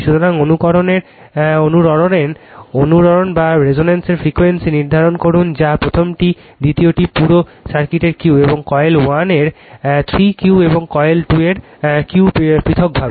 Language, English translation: Bengali, So, determine the frequency of the resonance that is first one; second one, Q of the whole circuit; and 3 Q of coil 1 and Q of coil 2 individually